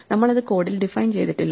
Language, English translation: Malayalam, So, we have not defined it in the code